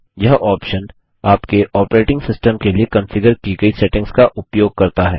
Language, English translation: Hindi, This option uses the settings configured for your operating system